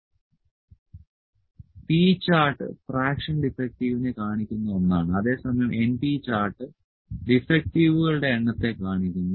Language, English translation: Malayalam, It shows the fraction defective and np chart it shows the number of defectives